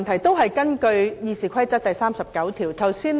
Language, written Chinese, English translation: Cantonese, 主席，我根據《議事規則》第39條提出規程問題。, President I would like to raise a point of order under Rule 39 of the Rules of Procedure